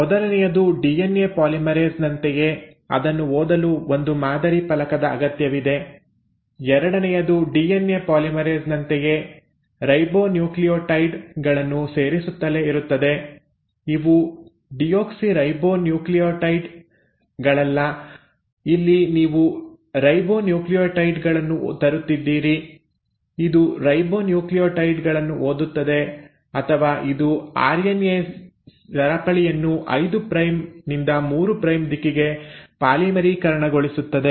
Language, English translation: Kannada, Now just like DNA polymerase, it needs a template to read, the first thing, second just like DNA polymerase it will keep on adding the ribonucleotides; now these are not deoxyribonucleotides, here you are bringing in the ribonucleotides; it will read the ribonucleotides, or it will polymerise the chain of RNA in the 5 prime to 3 prime direction